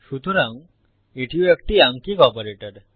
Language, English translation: Bengali, So this again is an arithmetical operator